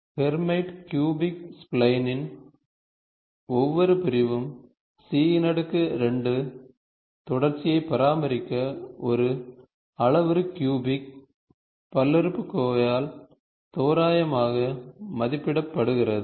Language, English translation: Tamil, Each segment of the Hermite cubic spline, is approximated by a parametric cubic polynomial, to maintain a C square, C2 continuity